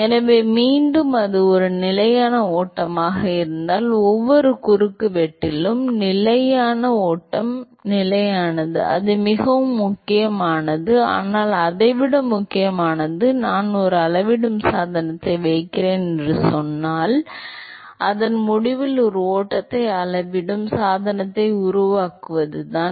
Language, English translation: Tamil, So, again if it is a steady flow, the steady flow is constant at every cross section that is very important, but more important than that much more important is that if I say I put a measuring devise a flow measuring devise at the end of the pipe